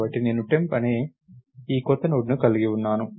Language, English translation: Telugu, So, lets say I have this new Node called temp